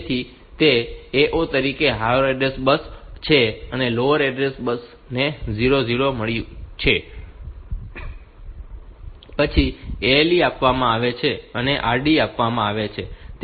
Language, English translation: Gujarati, So, it is it is higher order address bus as A 0, lower order bus as got 0 0, ALE is given read bar is given